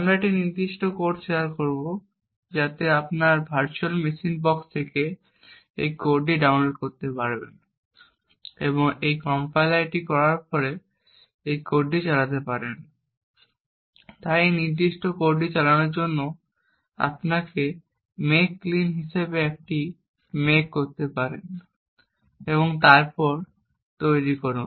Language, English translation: Bengali, We will be sharing this particular code so you could download this code from your virtual machine box and run this code after compiling it, so in order to run this specific code you could do a make as make clean over here, then make